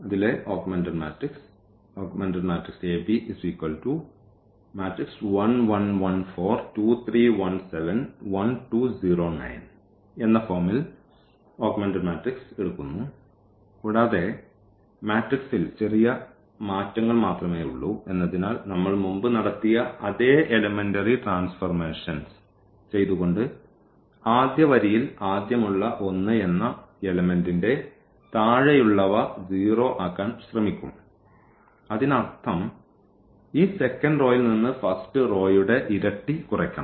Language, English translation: Malayalam, So, this augmented matrix is taking this form and by doing those elementary transformation which we have done earlier the same transformation because there is only little change in the matrix will be again trying to make this element 0 out of the first row; that means, we have to do we have to subtract from this row 2 times the row 1